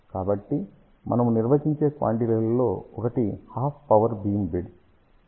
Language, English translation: Telugu, So, one of the quantity which we define is half power beam width